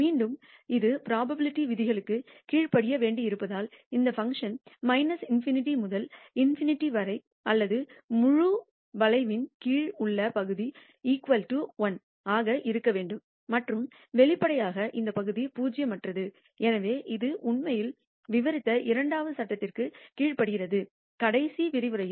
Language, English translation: Tamil, Again, since this has to obey the laws of probability the integral from minus infinity to infinity of this function or the area under the entire curve should be equal to 1 and obviously, the area is non zero therefore it obeys the second law also we actually described in the last lecture